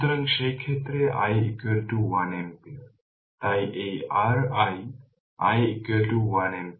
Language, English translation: Bengali, So, in that case and i is equal to 1 ampere; so this is your i; i is equal to 1 ampere